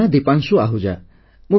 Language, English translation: Odia, My name is Deepanshu Ahuja